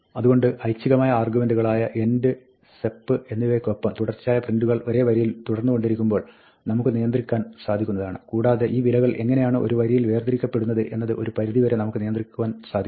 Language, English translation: Malayalam, So, with the optional arguments end and sep, we can control when successive prints continue on the same line and we can control to some limited extent, how these values are separated on a line